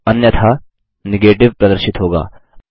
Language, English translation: Hindi, The result which is displayed now is Negative